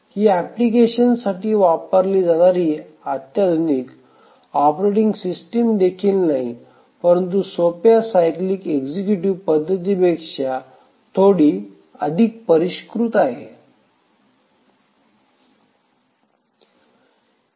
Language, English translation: Marathi, So, this is also not a sophisticated operating system used for simple applications but slightly more sophisticated than the simplest cyclic executives